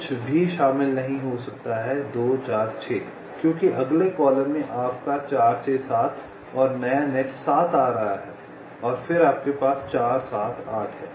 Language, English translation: Hindi, you cannot include anything is two, four, six, because in the next column your four, six, seven and new nets, seven, is coming in